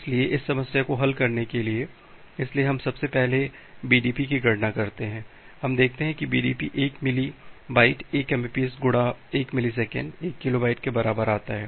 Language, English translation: Hindi, So, for to solve this problem, so, we first compute the BDP, we see that the BDP comes to be 1 Milli byte 1 Mbps into 1 millisecond equal to 1 kilobyte; that means 1024 byte